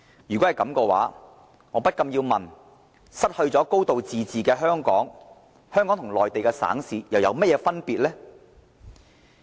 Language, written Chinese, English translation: Cantonese, 如果是這樣，我不禁要問，失去"高度自治"的香港，和內地省市又有何分別？, If so I cannot help but ask What is the difference between Hong Kong that is stripped of a high degree of autonomy and a Mainland province or municipality?